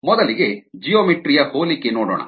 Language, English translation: Kannada, we will have geometric similarity